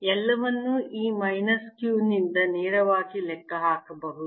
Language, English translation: Kannada, can we calculate the force directly from this minus q